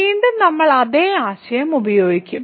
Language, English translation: Malayalam, So, again we will use the same idea